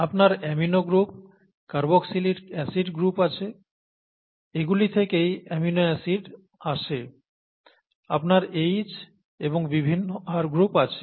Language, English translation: Bengali, So you have amino group, carboxy group, carboxylic acid group, so amino acid comes from that and you have H and various R groups